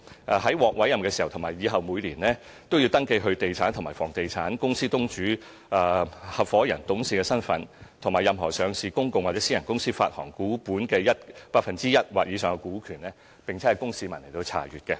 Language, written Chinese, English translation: Cantonese, 他們獲委任時及以後每年，也要登記他們擁有的地產和房地產、他們的公司東主、合夥人/董事身份，以及任何上市公共或私人公司發行股本 1% 或以上股權的資料，供市民查閱。, On first appointment and annually thereafter they have to register for public access information such as real estate and property owned by them their proprietorships partnershipsdirectorships and shareholdings of 1 % or more of the issued share capital in any listed public or private company